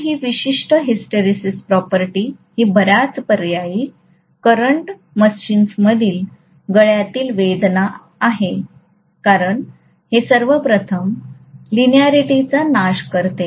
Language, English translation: Marathi, So this particular hysteresis property is a pain in the neck in many of the alternating current machines because it will first of all eliminate the linearity